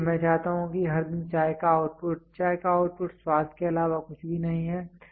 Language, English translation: Hindi, So, what I want is every day the output of the tea output of tea is nothing but the taste